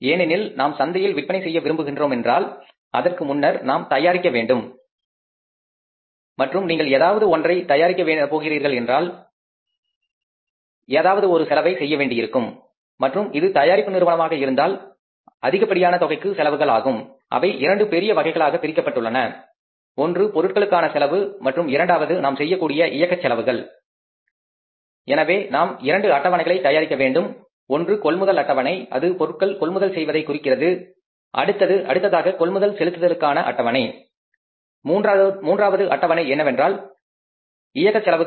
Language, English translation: Tamil, Now we go to the next schedule and the next schedule is preparing the purchase budget because if you are going to sell in the market before that we are going to manufacture and if you are going to manufacture something we are going to incur some expenses and if it is a manufacturing organization in that case the larger amount of expenses is on the two broadheads one is the material expenses and second are the operating expenses which we are going to incur so we have to prepare the two schedules one is the purchase schedule there is a purchase of raw material next will be the schedule for the payment for purchases and third schedule will be with regard to the manufacturing process for the operating expenses